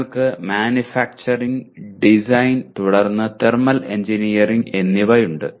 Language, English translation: Malayalam, You have Manufacturing, Design and then Thermal Engineering